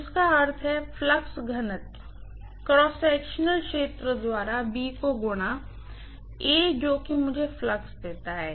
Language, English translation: Hindi, Which means flux density multiplied by cross sectional area, that is what gives me the flux